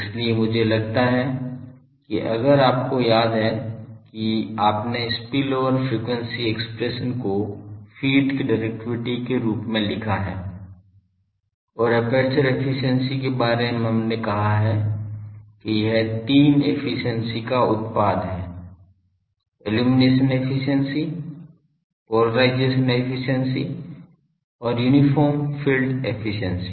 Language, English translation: Hindi, So, I think if you remember you have written the spillover efficiency expression as the directivity of the feed and about the aperture efficiency we have said that it is the product of three efficiencies; the illumination efficiency, the polarisation efficiency and the uniform field efficiency